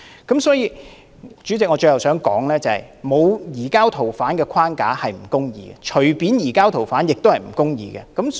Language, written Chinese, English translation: Cantonese, 代理主席，我最後想說的是，沒有移交逃犯框架是不公義的，隨便移交逃犯亦是不公義。, Deputy President lastly I would like to say that it will be unjust not to establish a framework on surrender of fugitive offenders and it will also be unjust to arbitrarily surrender fugitive offenders